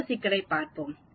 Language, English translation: Tamil, Let us look at another problem